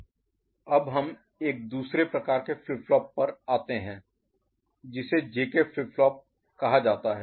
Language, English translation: Hindi, Now, we come to another type of flip flop which is called JK flip flop